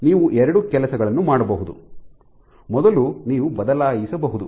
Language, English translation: Kannada, So, you can do two things first is you can change